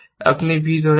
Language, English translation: Bengali, I am holding c